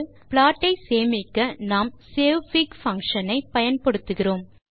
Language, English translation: Tamil, So saving the plot, we will use savefig() function